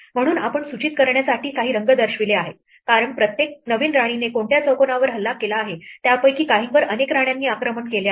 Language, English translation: Marathi, So, we have added some colors to indicate, as each new queen is placed which squares are newly under attack by the new queen, some of them are attacked by multiple queens